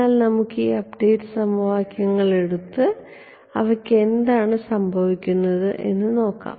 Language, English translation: Malayalam, So, let us take let us take these update equations and see what happens to them ok